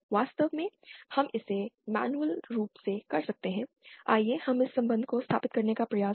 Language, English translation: Hindi, In fact we can do this manually, let us try to establish this relationship